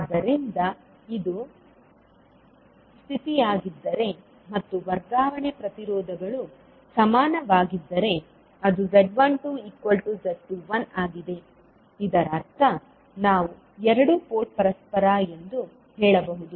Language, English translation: Kannada, So, if this is the condition and the transfer impedances are equal that is Z12 is equal to Z21, it means that we can say that two port is reciprocal